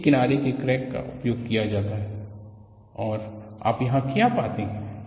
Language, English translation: Hindi, So,an edge crack is used And what you find here